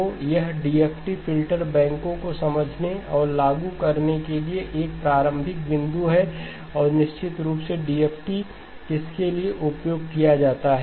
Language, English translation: Hindi, So this is a starting point to understand and apply DFT filter banks and of course what is DFT used for